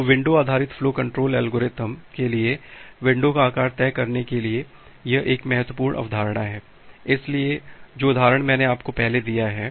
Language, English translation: Hindi, So, this is an important concept to decide the window size for a window based flow control algorithm; so the example that I have given you earlier